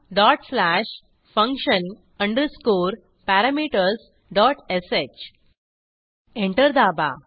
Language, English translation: Marathi, Type dot slash function underscore parameters dot sh Press Enter